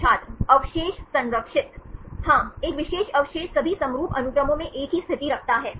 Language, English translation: Hindi, Residues conserved Yeah may position a particular residue occupies the same position in all the homologous sequences